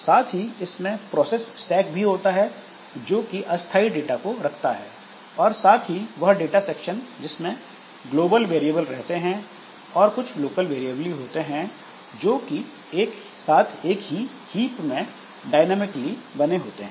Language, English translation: Hindi, It also includes process stack which contains temporary data and the data section which has got global variables and it has got some local variables in the, some dynamically created local variables in the heap